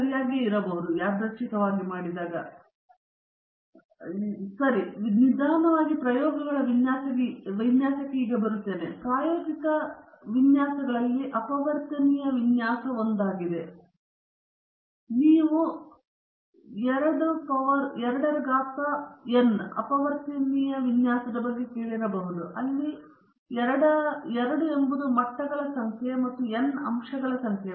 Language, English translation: Kannada, Okay now, we are coming to the design of experiments slowly and one of the important experimental designs is the factorial design; you might have heard about the 2 power n factorial design, where 2 is the number of levels and n is the number of factors